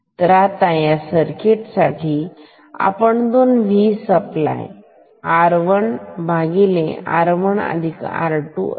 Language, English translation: Marathi, So, therefore, for this circuit this will become 2 V supply R 1 by R 1 plus R 2